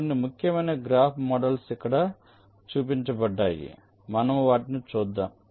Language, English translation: Telugu, so some of the important graph models are shown here